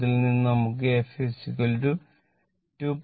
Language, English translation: Malayalam, So, from which we will get f is equal to 2